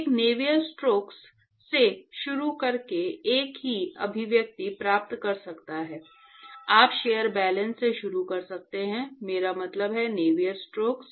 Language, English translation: Hindi, One can actually get the same expression by starting from Navier stokes, you can actually start from shell balances, I mean Navier stokes